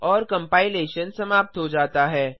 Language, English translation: Hindi, And the compilation is terminated